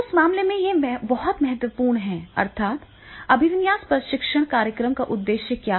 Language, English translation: Hindi, So, therefore, in that case, it is very important that is what is the orientation of the training program, purpose of the training program